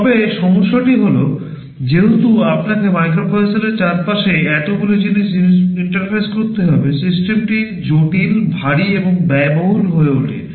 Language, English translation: Bengali, But, the trouble is that since you have to interface so many things around a microprocessor, the system becomes complex, bulky and also expensive